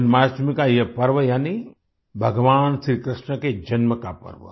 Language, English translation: Hindi, This festival of Janmashtami, that is the festival of birth of Bhagwan Shri Krishna